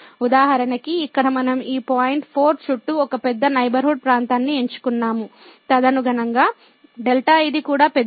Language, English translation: Telugu, So, for instance here we have chosen a big neighborhood of around this point 4 and then, correspondingly this delta is also big